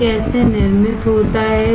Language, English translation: Hindi, How it is manufactured